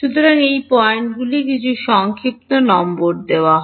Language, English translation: Bengali, So, these points are given some shorthand numbers